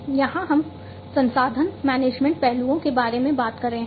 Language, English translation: Hindi, Here we are talking about resource management aspects